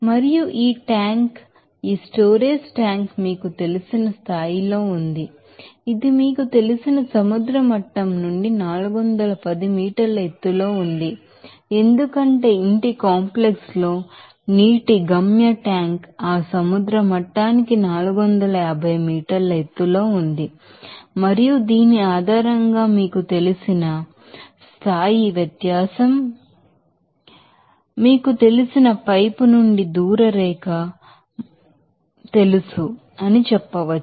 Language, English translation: Telugu, And also this tank this storage tank is you know it is in a you know level of 410 meter high from the you know sea level for as the destination tank of water in the house complex it is 450 meter above that sea level and also it does seem that the you know based on this you know level difference you can say that the distance line from the pipe this you know, saturated you know, 50 meter below that